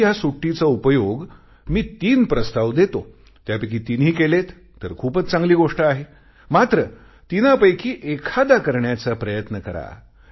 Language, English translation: Marathi, Would you like to use this time of vacation gainfully, I offer three suggestions, it will be good if you follow all of the three but then try to do atleast one of the three